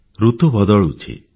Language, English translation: Odia, The weather is changing